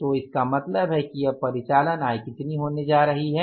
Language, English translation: Hindi, So, it means what is going to be now the operating income